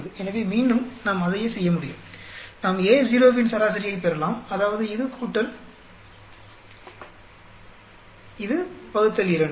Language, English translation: Tamil, So, again we can do the same thing, we can get average of A naught, that is, this plus this by two